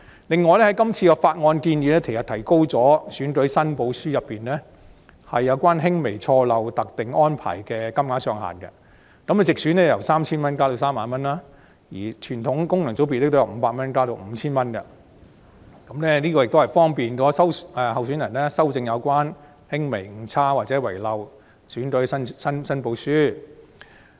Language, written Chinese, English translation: Cantonese, 此外，今次的《條例草案》建議提高選舉申報書中有關輕微錯漏特定安排的限額，地方選區由 3,000 元增至 30,000 元，而傳統功能界別則由500元增至 5,000 元，以便候選人修正有輕微誤差或遺漏的選舉申報書。, Moreover the current Bill proposes to raise the limits prescribed for minor errors or omissions in election returns under the de minimis arrangement from 3,000 to 30,000 for geographical constituencies and from 500 to 5,000 for traditional FCs so as to facilitate candidates in rectifying election returns with minor errors or omissions